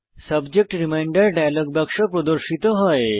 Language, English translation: Bengali, A Subject Reminder dialog box appears